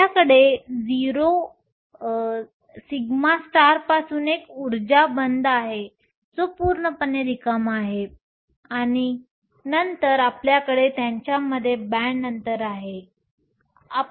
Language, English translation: Marathi, We have an energy band from sigma star that is completely empty and then you have a band gap between them